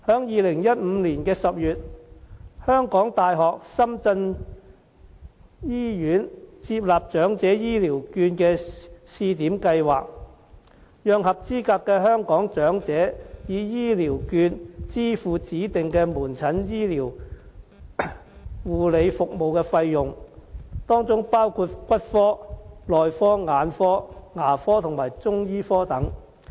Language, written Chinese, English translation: Cantonese, 2015年10月，香港大學深圳醫院接納長者醫療券的試點計劃，讓合資格的香港長者以醫療券支付指定的門診醫療護理服務的費用，當中包括骨科、內科、眼科、牙科和中醫科等。, In October 2015 the University of Hong Kong―Shenzhen Hospital participated in the Elderly Health Care Voucher Pilot Scheme to enable eligible Hong Kong elders to use health care vouchers to pay for the fees of outpatient services provided by designated clinicsdepartments of the HKU - SZ Hospital . They include the Orthopaedic Clinic the Medicine Clinic the Ophthalmology Clinic the Dental Clinic and the Chinese Medicine Clinic